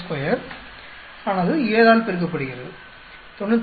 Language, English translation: Tamil, 6 square multiply by 7, 98